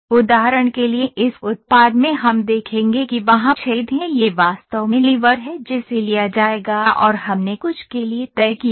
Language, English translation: Hindi, For instance in this product we will see that there are holes this is actually lever that will be taken and we fixed to something